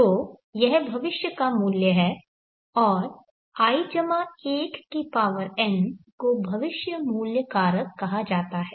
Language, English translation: Hindi, So this is the future worth and I+1 to the power of n is called the future worth factor